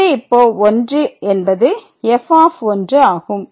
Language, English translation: Tamil, So, this is 1 and which is equal to the